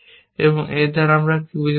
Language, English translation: Bengali, What do I mean by that